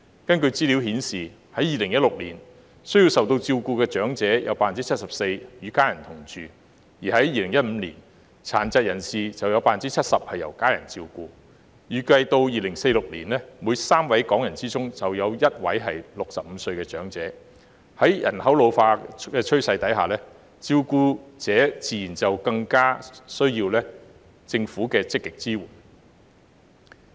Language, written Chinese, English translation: Cantonese, 根據資料顯示，在2016年，需受照顧的長者有 74% 與家人同住，而在2015年，殘疾人士有 70% 由家人照顧；預計2046年，每3位港人中便有1位為65歲長者，在人口老化的趨勢下，照顧者自然更需要政府的積極支援。, According to the data 74 % of elderly persons who require care lived with their families in 2016 while 70 % of PWDs were cared by their families in 2015 . It was projected that by 2046 one in three Hong Kong persons would reach the age of 65 . With an ageing population carers will naturally need more active support from the Government